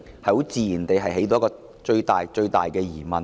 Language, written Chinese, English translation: Cantonese, 這自然會引起最大的疑問。, Naturally this will give rise to the biggest doubt